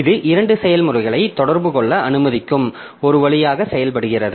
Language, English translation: Tamil, So, this acts as a conduit allowing two processes to communicate